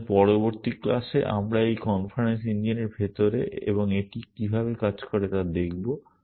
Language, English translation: Bengali, So, in the next class we will look at inside this inference engine and how it works essentially